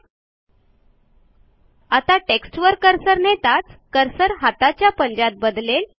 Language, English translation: Marathi, Now when you hover your cursor over the text, the cursor turns into a pointing finger